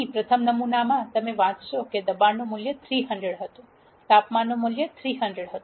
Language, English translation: Gujarati, Here in the first sample you will read that the value of pressure was 300, the value of temperature was 300 and the value of density was 1000